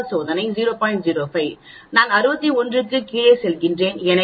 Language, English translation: Tamil, 05, I go down 61, so it is 1